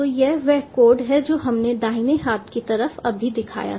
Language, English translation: Hindi, so this is the code ah which we just showed